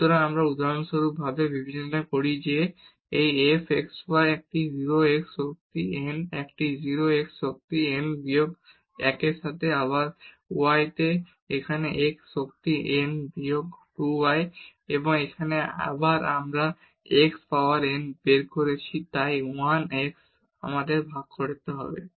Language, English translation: Bengali, So, we consider for example, this f x y is equal to a 0 x power n a 0 x power n minus 1 into y again here x power n minus 2 y square and so on a n y power n